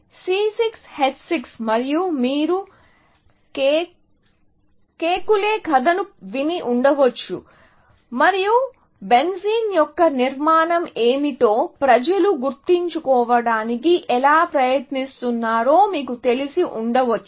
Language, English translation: Telugu, C 6 H 6, and you must have heard the story of Kekule, and you know how people were trying to figure out, what is the structure of benzene